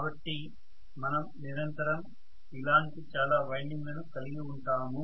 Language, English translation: Telugu, So we are going to have more and more windings like this continuously